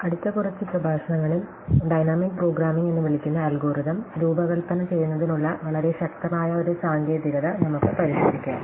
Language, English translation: Malayalam, In the next few lectures, we will look at a very powerful technique for designing algorithms called dynamic programming